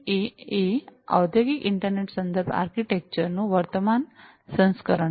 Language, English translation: Gujarati, 8 is the current version of the Industrial Internet Reference Architecture